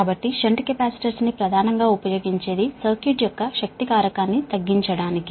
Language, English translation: Telugu, so shunt capacitors, basically used for a lagging power factor, circuit, ah